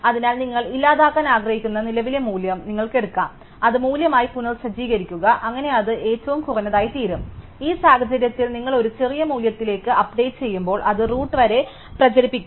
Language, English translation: Malayalam, So, you can take the current value that you want to delete, reset it is value, so that it becomes the minimum, in which case as we saw when you update to a smaller value, it will propagate up to the root